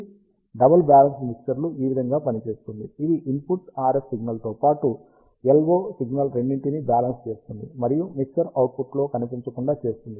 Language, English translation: Telugu, So, this is how a double balanced mixer works, it balances out both the input RF signal as well as the LO signal, and prevent it to appear in the mixer output